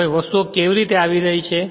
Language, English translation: Gujarati, Now how things are coming